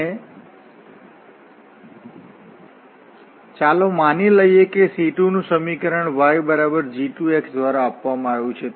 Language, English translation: Gujarati, And let us assume that the equation of the C 2 is given by y is equal to g 2 x